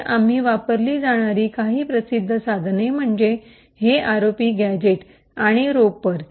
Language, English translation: Marathi, So, some quite famous tools which we have used is this ROP gadget and Ropper